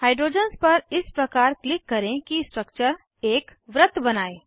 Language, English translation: Hindi, Click on the hydrogens in such a way that the structure forms a circle